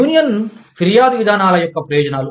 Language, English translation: Telugu, Benefits of union grievance procedures